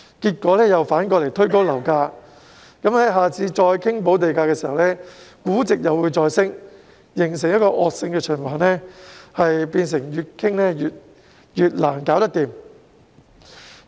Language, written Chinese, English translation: Cantonese, 結果反而推高樓價，到了下次再討論補地價時，估值又會再升，形成惡性循環，變成不斷討論但卻無法達成協議。, As a result property prices may be pushed up instead which will in turn drive up the valuation when negotiation of premium is to be conducted again next time . This will create a vicious cycle where no agreement can be reached despite repeated negotiations